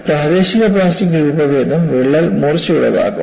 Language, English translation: Malayalam, The local plastic deformation will make the crack blunt